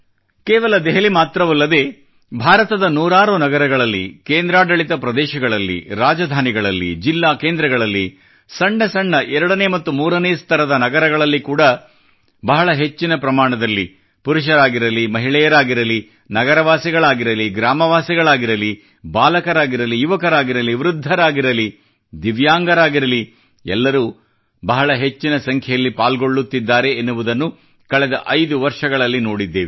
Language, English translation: Kannada, The last five years have witnessed not only in Delhi but in hundreds of cities of India, union territories, state capitals, district centres, even in small cities belonging to tier two or tier three categories, innumerable men, women, be they the city folk, village folk, children, the youth, the elderly, divyang, all are participating in'Run for Unity'in large numbers